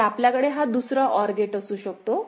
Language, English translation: Marathi, So, you can have this another OR gate